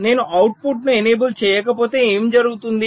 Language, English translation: Telugu, so if i am not enabling the output, then what will happen